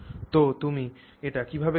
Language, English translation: Bengali, So, how do you do that